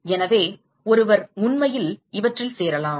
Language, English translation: Tamil, So, one can actually join these